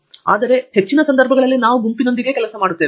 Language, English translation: Kannada, There are some, but most in most of cases we are working with the group